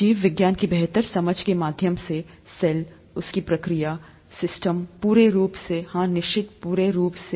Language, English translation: Hindi, Through a better understanding of biology, the cell, it's processes, the systems as a whole, certainly yes